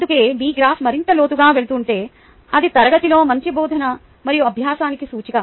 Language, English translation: Telugu, that is why if your graph is going down deeper, right, then it is an indicator of better teaching and learning in the class